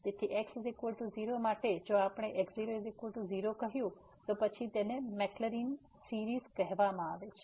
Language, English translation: Gujarati, So, for is equal 0 if we said this is equal to 0, then this is called the maclaurins series